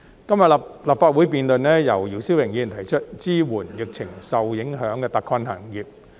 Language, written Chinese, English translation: Cantonese, 今天立法會辯論由姚思榮議員提出的"支援受疫情影響的特困行業"議案。, Today the Legislative Council is debating a motion on Providing support for hard - hit industries affected by the epidemic proposed by Mr YIU Si - wing